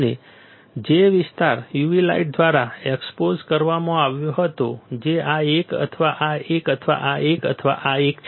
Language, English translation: Gujarati, And the area which was exposed by u v light which is this one or this one or this one or this one